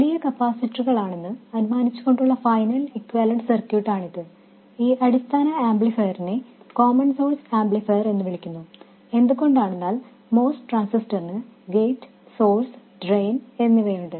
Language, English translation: Malayalam, This is the final equivalent circuit assuming large capacitors and this basic amplifier this is known as a common source amplifier because the most transistor has gate, source and drain and the input is applied to these two points